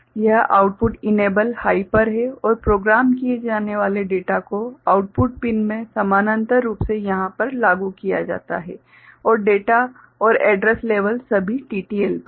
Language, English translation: Hindi, This output enable is at high and data to be programmed is applied at the output pins in parallel over here and data and address level are all at TTL